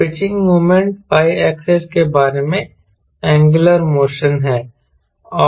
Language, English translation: Hindi, so pitching moment is a angular motion about y axis, right, this is